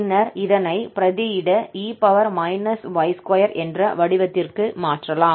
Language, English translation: Tamil, And now we can substitute this to exactly have e power minus y square form